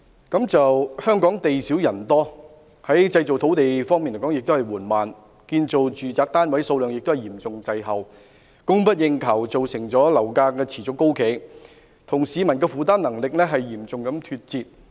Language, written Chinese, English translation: Cantonese, 香港地少人多，製造土地的工作緩慢，建造住宅單位數量亦嚴重滯後，供不應求的情況造成樓價持續高企，亦與市民的負擔能力嚴重脫節。, Hong Kong is a small but densely populated place . Work on land creation is slow and the construction of residential units is seriously lagging behind the demand . As a result of the inadequate supply of flats property prices remain high and are seriously beyond the affordability of members of the public